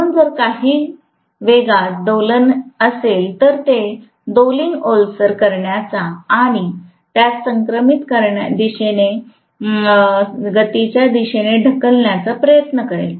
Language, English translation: Marathi, So if there is any oscillation in the speed, it will always try to damp out the oscillation and push it towards synchronous speed